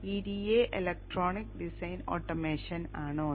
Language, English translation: Malayalam, This is the Electronic Design Automation Toolset